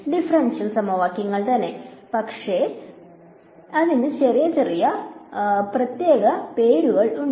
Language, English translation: Malayalam, Differential equations, but a little bit small special name for it